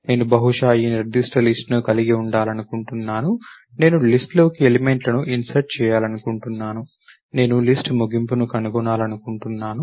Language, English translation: Telugu, I would like to perhaps that I have this particular list, I would like to insert elements into the list, I would like to find the end of the list